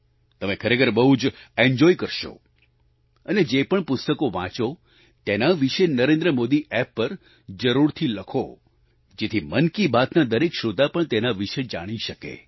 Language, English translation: Gujarati, You will really enjoy it a lot and do write about whichever book you read on the NarendraModi App so that all the listeners of Mann Ki Baat' also get to know about it